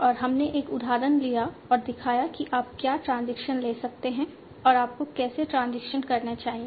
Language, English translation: Hindi, We took an example and showed what are the transitions you can take and how you should be taking the transitions